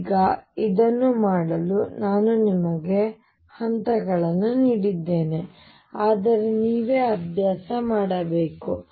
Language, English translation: Kannada, Now, I have given you steps to do this you will have to practice it yourself